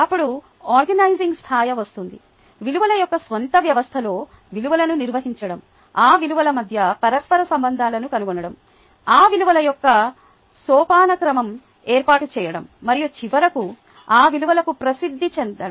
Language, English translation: Telugu, then comes the organizing level: organization of values into once own system of values, finding interrelationships between those values, establishing a hierarchy of those values and finally being known for those values